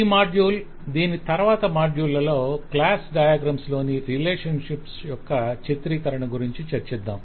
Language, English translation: Telugu, in this module and the next we will discuss about the representation relationships in class diagram